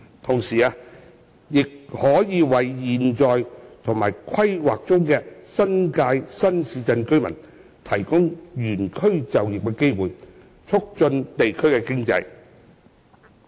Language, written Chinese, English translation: Cantonese, 同時，亦可為現有及規劃中的新界新市鎮居民提供原區就業的機會，促進地區經濟。, Meanwhile this can provide job opportunities for residents within the existing and planned new towns in the New Territories to promote local community economy